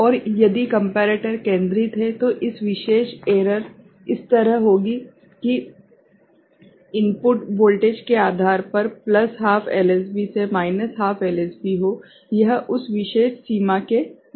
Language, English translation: Hindi, And if the comparator is centred, then this particular error would be like this depending on the input voltage from plus half LSB to minus half LSB, it will be within that particular range